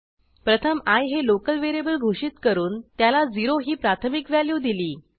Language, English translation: Marathi, First, I declared a local variable i and initialized it with value 0